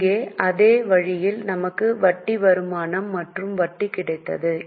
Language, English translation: Tamil, Same way here we had interest income and interest received